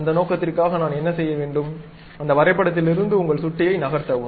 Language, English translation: Tamil, For that purpose, what I have to do, move your mouse out of that drawing